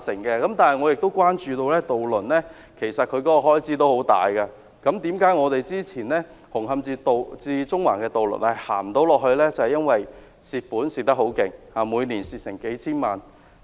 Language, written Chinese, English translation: Cantonese, 但是，我亦關注到渡輪的開支十分大，之前的紅磡至中環的渡輪不能繼續營運，原因是虧損太多，每年虧損數千萬元。, Nevertheless I am also concerned about the huge expenses of ferry services . Previously the Hung Hom - Central ferry service had to cease operation due to a deficit of several ten million dollars a year